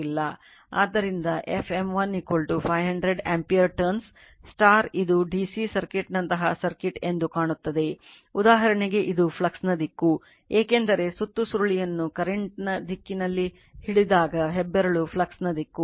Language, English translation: Kannada, So, f M 1 is equal to 500 ampere turns now it will look into that that this is your circuit like a DC circuit for example, that this is the direction of the flux this is your direction of the flux because you wrap grabs the coil in the direction of the current then thumb is the direction of the flux